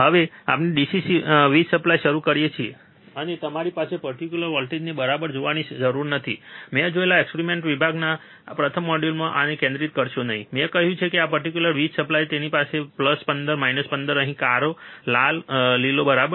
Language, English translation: Gujarati, Now, we can start the DC power supply, and you do not have to see this particular voltages ok, do not do not concentrate this in the first module in the experimental section I have see, I have said that this particular power supply it has plus 15 minus 15 here red black and green, right